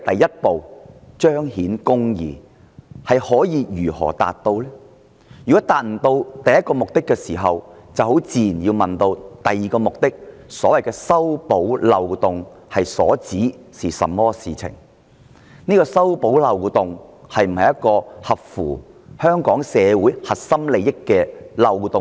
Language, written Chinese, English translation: Cantonese, 如果無法達到首要目的，我們自然要問第二個目的，即所謂修補漏洞是指甚麼事情？特區政府修補這個漏洞是否合乎香港社會的核心利益？, If this purpose cannot be achieved naturally we will then ask what the Government means by its second purpose which is to plug the loophole and whether it is in line with the core interests of Hong Kong society for the SAR Government to plug this loophole